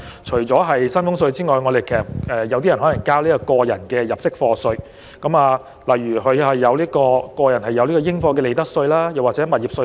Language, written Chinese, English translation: Cantonese, 除薪俸稅外，有部分人士亦須繳交個人入息課稅，例如個人應課利得稅或物業稅。, Apart from salaries tax some people were also subject to tax under PA such as income chargeable to profits tax or property tax